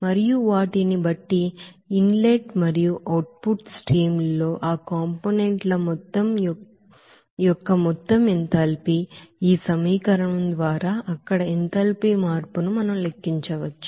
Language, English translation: Telugu, And from those, you know that total enthalpy of those components in the inlet and output streams, we can calculate that enthalpy change there by this equation